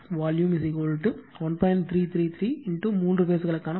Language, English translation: Tamil, 333 into material for the three phase